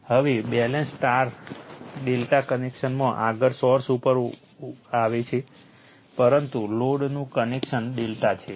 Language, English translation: Gujarati, Now, balanced star delta connection next will come to source star, but load is your delta connection